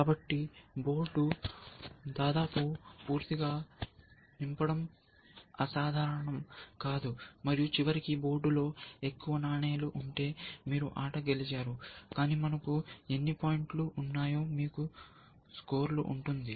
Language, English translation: Telugu, So, it is not uncommon for the board to be almost completely fill them, and you win the game, if you have more coins in the board at the end of it, but we have will be also give you a score has to how many points we have, one by essentially